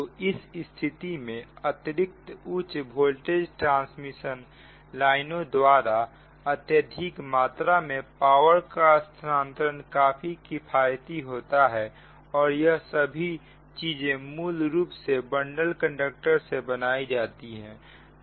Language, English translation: Hindi, it is economical to transmit large amount of power over long distance by extra high voltage transmission lines, right so, and those things are basically constructed with bundled conductors, right